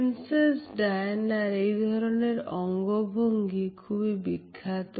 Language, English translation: Bengali, Princess Diana has also made this particular head gesture very famous